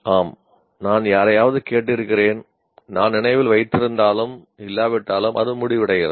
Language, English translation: Tamil, Yes, I have listened to somebody, keep it, whether I may remember or may not remember, but that's where it ends